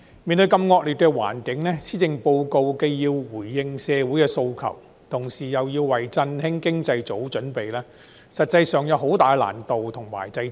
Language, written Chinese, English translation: Cantonese, 面對如此惡劣的環境，施政報告既要回應社會訴求，同時亦要為振興經濟做好準備，實際上有很大的難度和掣肘。, In the face of such an adverse environment the Policy Address has to respond to the aspirations of society and at the same time make good preparations to rev up the economy . This will be accompanied by great difficulties and constraints in actual practice